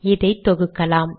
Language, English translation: Tamil, Lets compile this